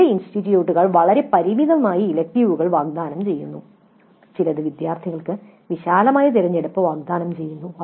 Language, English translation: Malayalam, Some institutes offer an extremely limited set of electives while some do offer a wide choice for the students